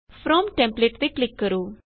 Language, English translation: Punjabi, Click on From template